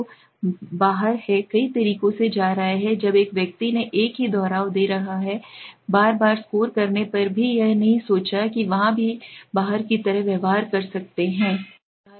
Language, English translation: Hindi, So outlier is going to be of many ways one outlier shown his when a person is giving the same repetitive score again and again not even thinking of it there also can behave like outlier, okay